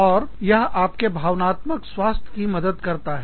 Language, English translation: Hindi, And, this helps, your emotional health